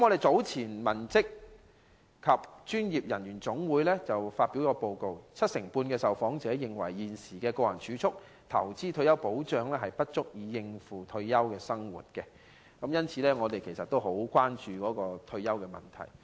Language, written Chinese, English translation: Cantonese, 早前，香港文職及專業人員總會發表報告，七成半受訪者認為現時的個人儲蓄、投資及退休保障不足以應付退休生活，因此我們十分關注退休問題。, Earlier the Hong Kong Clerical and Professional Employees General Union published a report stating that 75 % of the respondents did not think their current personal savings investments and retirement protection were sufficient to meet their retirement needs . We are thus greatly concerned about the retirement issue